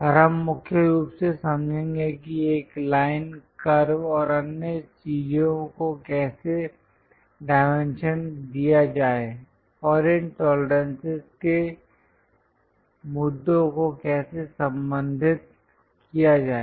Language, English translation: Hindi, And we will mainly understand how to dimension a line, curve and other things and how to address these tolerances issue